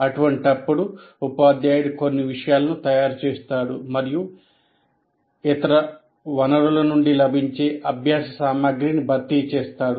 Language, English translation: Telugu, In such case, the teacher prepares some material and supplements the learning material available from the other sources